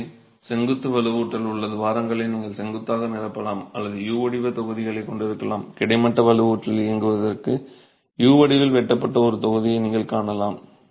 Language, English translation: Tamil, So, you could either vertically fill the cavities in which the vertical reinforcement is sitting or you might have the U shape blocks, you can see a block which is cut in the shape of U for the horizontal reinforcement to run